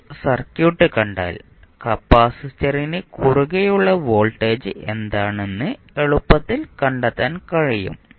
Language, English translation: Malayalam, Now, if you see the circuit you can easily find out what would be the voltage across capacitor